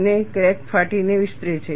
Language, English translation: Gujarati, And the crack extends by tearing